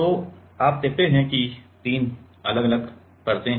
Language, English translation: Hindi, So, you see there are three different, three different layers ok